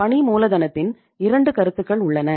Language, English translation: Tamil, We have 2 concepts of working capital